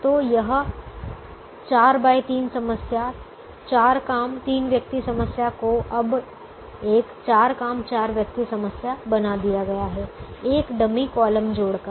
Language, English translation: Hindi, so this four by three problem, four job, three person problem has now been made into a four job, four person problem by adding what is called a dummy column